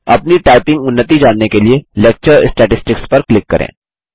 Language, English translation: Hindi, Click on Lecture Statistics to know your typing progress